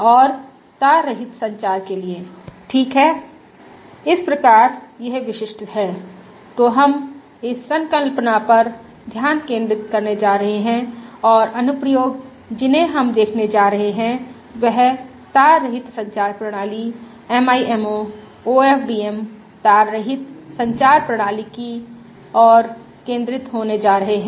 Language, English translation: Hindi, So this specific, so this the concept that we are going to focus on and applications that we are going to look at are going to be focused towards wireless communication system, MIMO, OMDM, wireless communication systems